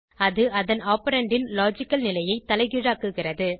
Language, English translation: Tamil, It inverses the logical state of its operand